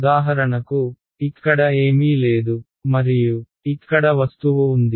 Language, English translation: Telugu, For example, here there is nothing and here there is the object right